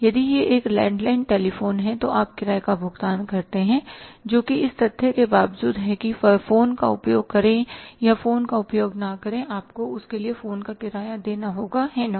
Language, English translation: Hindi, If it is a landline telephone you pay the rent which is irrespective of the fact whether you use the phone you don't use the phone you have to pay the phone rent for that